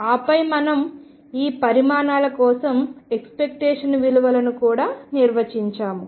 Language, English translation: Telugu, And then we also define the expectation values for these quantities